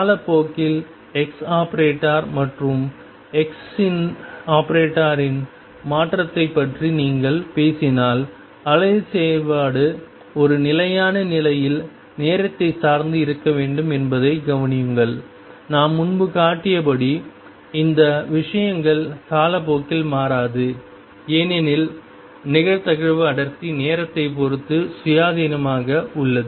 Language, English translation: Tamil, Notice that if you talking about the change of expectation value of x and p in time, the wave function necessarily has to be time dependent in a stationary state these things do not change in time as we showed earlier because the probability density is independent of time